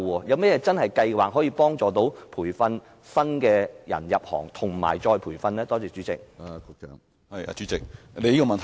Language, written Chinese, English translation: Cantonese, 政府有何計劃協助培訓新人加入這行業，以及再培訓現有的人才呢？, What plans does the Government have to help nurture new talents to join this profession and retrain the existing talents?